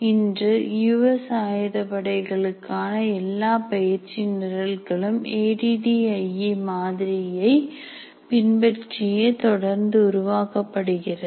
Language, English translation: Tamil, Today all the US Armed Forces, all training programs for them continue to be created using the ADI model